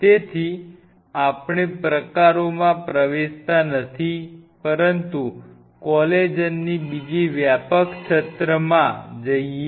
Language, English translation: Gujarati, So, we are not getting into the types, but another broad umbrella of collagen